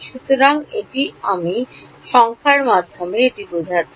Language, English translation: Bengali, So, that is what I mean by numerically find out